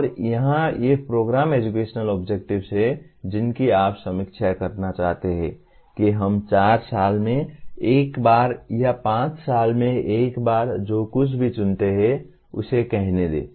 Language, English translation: Hindi, And here these program educational objectives you may want to review let us say once in four years or once in five years whatever period that you choose